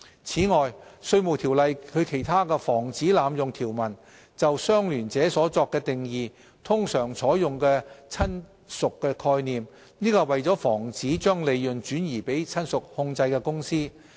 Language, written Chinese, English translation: Cantonese, 此外，《稅務條例》中的其他防止濫用條文通常採用"親屬"的概念就"相聯者"作定義，這是為了防止將利潤轉移給親屬控制的公司。, In addition when defining the term associate in other anti - abuse provisions of the Inland Revenue Ordinance the concept of relative is usually adopted to prevent profits from shifting to companies controlled by relatives